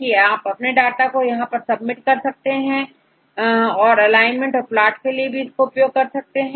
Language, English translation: Hindi, So, now, you can submit their data right, is asking for this alignment and the plot right